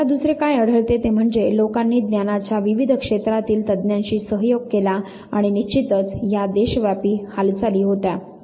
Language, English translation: Marathi, Second, what you find is at people collaborated with experts from various domain of knowledge and of course, it was a nationwide activity